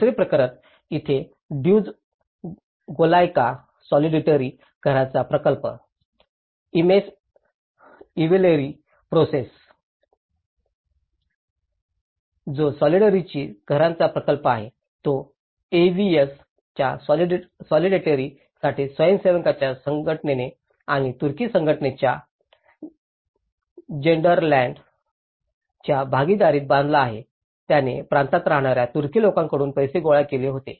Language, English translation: Marathi, The second case; Duzce Golyaka solidarity houses project here, the Imece Evleri Projesi which is a solidarity houses project, it was constructed by the association of volunteers for solidarity AVS and within partnership in Gelderland Aid of Turkey Organization which has collected money from Turkish people living in province of, so they have people who are living in overseas, they have collected certain funds